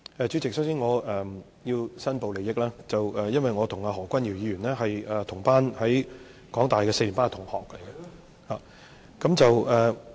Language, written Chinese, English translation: Cantonese, 主席，首先，我想申報利益，我跟何君堯議員是香港大學四年班同班同學。, President first of all I would like to declare interest . Dr Junius HO and I were classmates in our fourth year at the University of Hong Kong